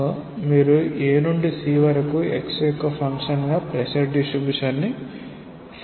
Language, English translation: Telugu, So, you can find out the pressure distribution as a function of x from A to C